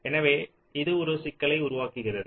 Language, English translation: Tamil, ok, so this creates a problem